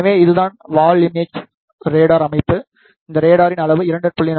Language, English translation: Tamil, So, this is the through wall imaging radar system the size of this radar is 2